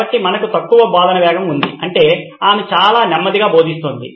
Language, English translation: Telugu, So we have a low pace of teaching which means she is going very slow